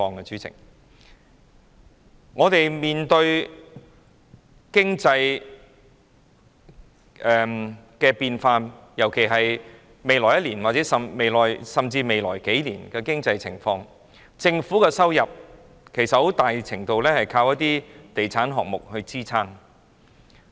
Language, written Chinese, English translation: Cantonese, 香港面對經濟變化，在未來1年或甚至數年，政府的收入其實在很大程度上依靠一些地產項目支撐。, Hong Kong is facing economic changes . In the coming year or even the following years the Governments revenue will actually to a large extent rely on real estate projects